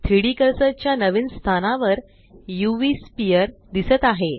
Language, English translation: Marathi, The UV sphere appears at the new location of the 3D cursor